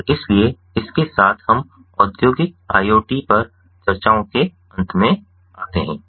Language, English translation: Hindi, so with this we come to an end of ah the discussions on industrial iot